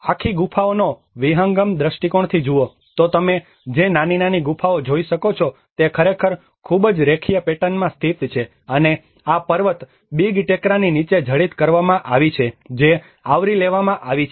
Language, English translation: Gujarati, \ \ \ And if you look at the panoramic view of the whole caves, what you can see is small small caves which are actually located in a very linear pattern and has been embedded under this mountain Big Mound which has been covered